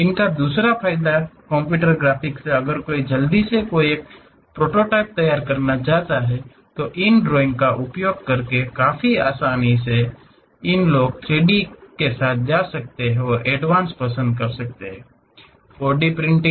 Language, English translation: Hindi, The other advantage of these computer graphics is if one would like to quickly prepare a prototype it is quite easy to use these drawings; these days people are going with 3D and the advance is like 4D printing